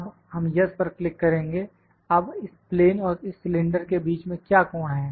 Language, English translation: Hindi, Now, will we click and yes now this between this cylinder and this plane what is the angle